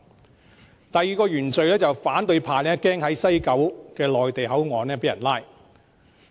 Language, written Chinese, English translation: Cantonese, 至於第二個原罪，是反對派害怕在西九內地口岸被拘捕。, For their second original sin members of the opposition camp fear that they will be arrested in the Mainland Port Area in West Kowloon